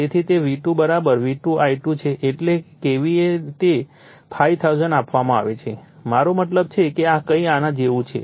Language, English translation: Gujarati, So, it is V2 is your = your V2 I2 is that is KVA is given 5000 I mean this is something like this